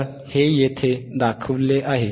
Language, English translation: Marathi, So, this is what is shown here